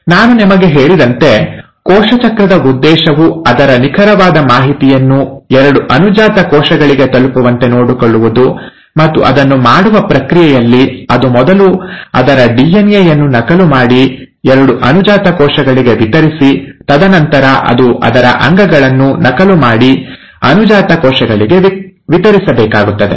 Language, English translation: Kannada, As I told you, the purpose of cell cycle is to ensure that it passes on its exact information, to the two daughter cells, and in the process of doing it, it has to first duplicate it's DNA, and then distribute it to the two daughter cells, it also needs to duplicate it's organelles and distribute it to the daughter cells